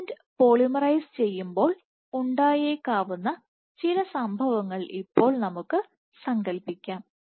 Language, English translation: Malayalam, Now let us imagine some scenarios what might happen when the filament polymerizes